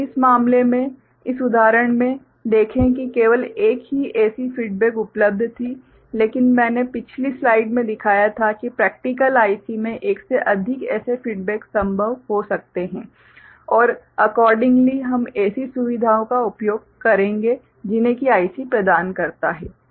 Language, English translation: Hindi, See in this case in this example only one such feedback was available, but I had shown in the previous slide that in practical IC there may be more than one such feedback possible and accordingly, we shall make use of such you know facilities that the IC provides